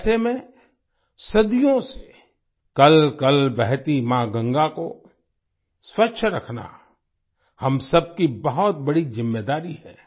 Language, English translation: Hindi, Amid that, it is a big responsibility of all of us to keep clean Mother Ganges that has been flowing for centuries